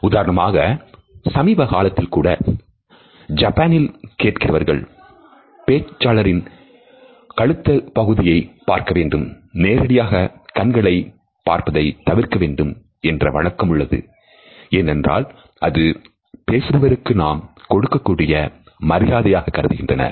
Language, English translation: Tamil, For example, up till very recently in Japan listeners are taught to focus on the neck of the speaker and avoid a direct eye contact because they wanted to pay respect to the speaker